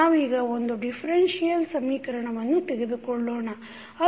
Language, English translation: Kannada, Let us consider one differential equation